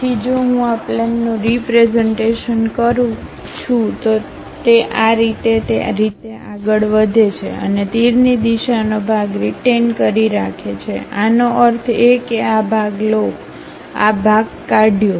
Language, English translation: Gujarati, So, if I am going to represent this plane really goes all the way in that way and retain the arrow direction part; that means, retain this part, remove this part